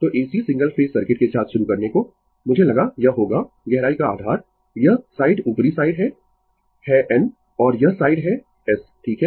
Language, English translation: Hindi, So, to start with AC single phase circuit, I thought this will be the base to depth this side is upper side is N and this side is S right